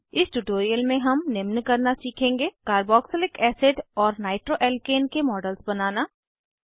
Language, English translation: Hindi, In this tutorial, we will learn to * Create models of carboxylic acid and nitroalkane